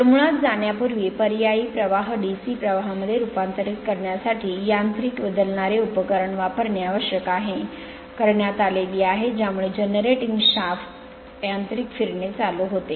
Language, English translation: Marathi, So, basically in order to before going to that figure in order to convert the alternating current to DC current, it is necessary to employ mechanical switching device which is actuated by the mechanical rotation of the generator shaft, called a commutator